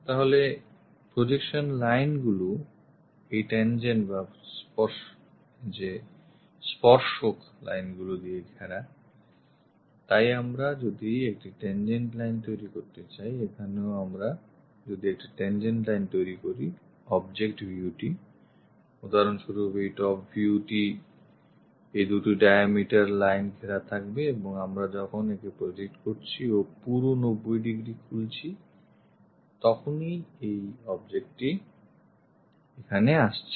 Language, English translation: Bengali, So, the projection lines bounded by this tangent lines, so here if we are constructing a tangent line, here also if we are constructing a tangent line the object view, for example this top view will be bounded by these two diameter lines and when we are projecting it and opening that entirely by 90 degrees, then this object comes there